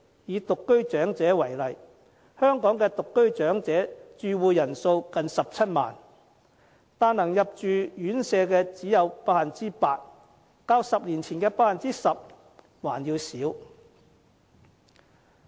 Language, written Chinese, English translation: Cantonese, 以獨居長者為例，香港的獨居長者住戶人數近17萬人，但可以入住院舍的只有 8%， 較10年前的 10% 還要少。, Take elderly singletons as an example . There are now almost 170 000 elderly singleton occupants in Hong Kong but only 8 % can have a residential care places . The occupancy rate is even less than the 10 % occupancy rate 10 years ago